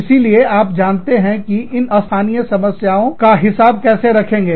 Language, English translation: Hindi, You know, so, how do you, account for these local problems